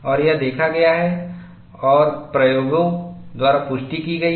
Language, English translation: Hindi, And this is observed and corroborated by experiments